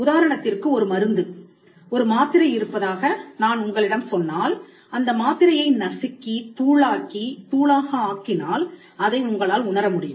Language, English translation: Tamil, So, for instance if I tell you that there is a medicine a tablet, then you can see the tablet perceive the tablet probably crush it, powder it, and it is something that can be felt